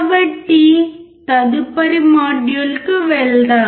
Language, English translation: Telugu, So, let us move to the next module